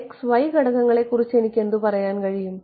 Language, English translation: Malayalam, What about the x and y components, what can I say